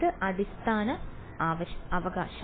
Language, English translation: Malayalam, The nth basis right